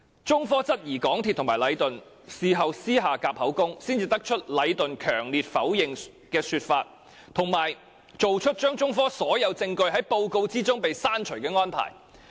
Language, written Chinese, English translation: Cantonese, 中科質疑港鐵公司和禮頓事後是否私下"夾口供"，才得出禮頓強烈否認的說法，以及作出將中科所有證供從報告刪除的安排。, China Technology queried whether there was any collusion between MTRCL and Leighton in private afterwards which resulted in a report stating that Leighton strenuously denied the allegations made by China Technology and the arrangement to exclude from the report all the testimony given by China Technology